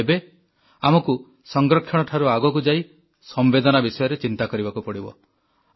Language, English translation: Odia, But, we now have to move beyond conservation and think about compassion